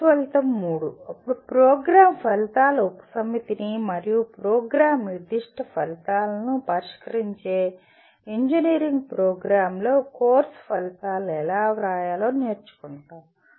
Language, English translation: Telugu, The course outcome three then we learn how to write outcomes of a course in an engineering program that address a subset of program outcomes and program specific outcomes